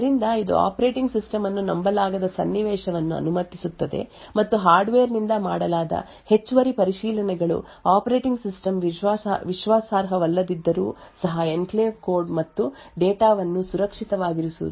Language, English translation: Kannada, So this would permit a scenario where the operating system is not trusted and the additional checks done by the hardware would ensure that the enclave code and data is kept safe even when the operating system is untrusted